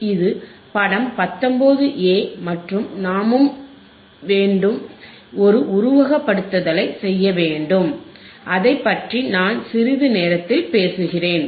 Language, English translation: Tamil, This is figure 19 a right aand the wwe have also have to perform a simulation, that I will talk it talk in a second